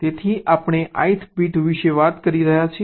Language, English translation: Gujarati, so we are talking of the ith bit